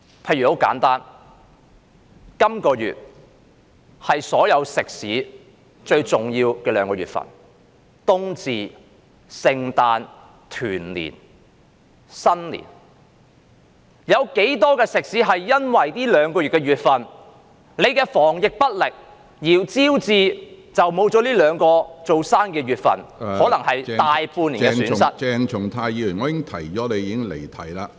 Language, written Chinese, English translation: Cantonese, 很簡單，例如這兩個月是所有食肆一年中最重要的時間，當中包含冬至、聖誕、新年和團年幾個節日，有多少食肆因政府防疫不力而失去這兩個月的生意，可能招致大半年的損失......, To give a simple example these two months are the most important time of the year for all restaurants covering several festivals such as the winter solstice Christmas New Year and Chinese New Years Eve . How many restaurants will lose business in these two months due to the Governments incompetence in fighting the epidemic suffering probably a loss for more than half a year